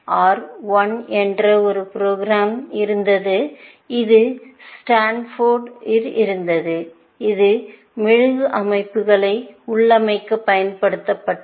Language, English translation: Tamil, There was a program called R 1, which was also at Stanford I think, which was used to configure wax systems